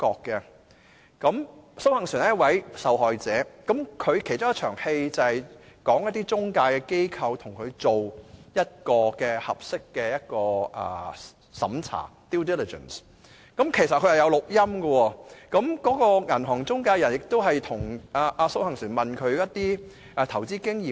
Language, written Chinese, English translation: Cantonese, 電影中，蘇杏璇是一位受害者，其中一幕是中介機構跟她做盡職審查，過程中有錄音，銀行中介人亦有詢問她的投資經驗。, SOH Hang - suen plays a victim in the movie and in one scene an intermediary is doing the due diligence procedure with her . The whole process is tape - recorded and the intermediary which is a bank also asks her questions about her previous investment experience